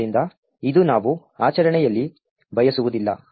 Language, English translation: Kannada, So, this is not what we want in practice